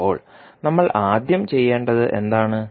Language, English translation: Malayalam, Now, what we have to do first